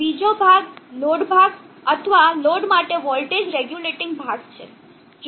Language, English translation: Gujarati, The second part is the load part or the voltage regulating part for the load